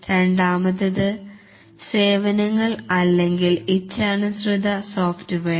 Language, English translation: Malayalam, And the second is services or the custom software